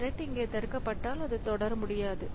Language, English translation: Tamil, So, if this thread got blocked here, okay, it cannot proceed